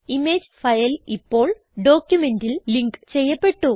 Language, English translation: Malayalam, The image file is now linked to the document